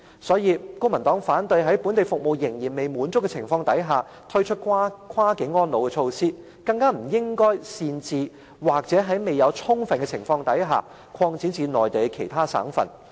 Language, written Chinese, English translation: Cantonese, 所以，公民黨反對未滿足本地服務需求的情況下，推出跨境安老措施，更不應擅自或在未有充分諮詢的情況下，便把計劃擴展至內地其他省份。, Hence the Civic Party is against launching cross - boundary elderly care measures without first satisfying the local service demand and extending the schemes to other Mainland provinces without permission or thorough consultation